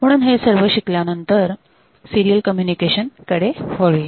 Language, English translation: Marathi, So, next we look into the serial communication